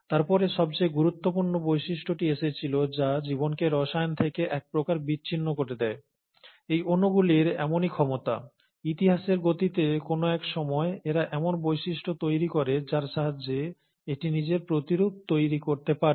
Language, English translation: Bengali, Then came the most important feature which kind of sets apart life from chemistry, and that is the ability of these molecules, somewhere during the course of history, to develop into a property where it can replicate itself